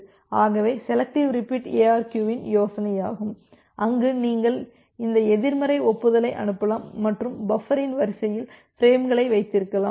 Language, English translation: Tamil, So, that is the idea of the selective repeat ARQ where you can send this negative acknowledgement and keep the out of order frames in the buffer